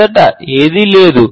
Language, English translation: Telugu, First, none at all